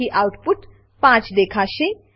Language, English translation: Gujarati, So, output will display 5